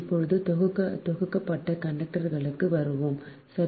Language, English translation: Tamil, right now we will come to bundled conductors, right